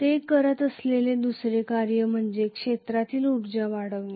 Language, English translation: Marathi, The second task it is doing is to increase the field energy